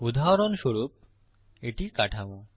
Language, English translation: Bengali, For example this is the structure